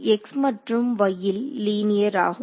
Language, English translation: Tamil, It should be linear in I mean in x and y